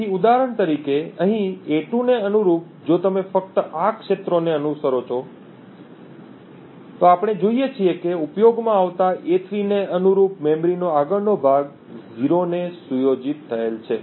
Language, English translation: Gujarati, So, corresponding to a2 over here for instance if you just follow these fields, we see that the next chunk of memory corresponding to a3 the in use bit is set to 0